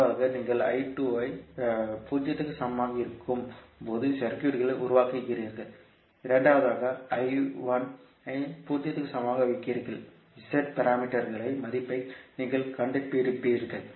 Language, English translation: Tamil, First is you create the circuit when you put I2 is equal to 0, in second you put I1 equal to 0 and you will find out the value of Z parameters